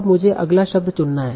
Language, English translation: Hindi, Now I have to choose the next word